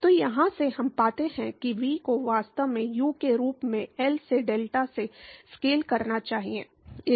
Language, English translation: Hindi, So, from here, we find that V should actually scale as U into delta by L